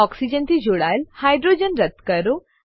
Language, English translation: Gujarati, Delete the hydrogen attached to the oxygen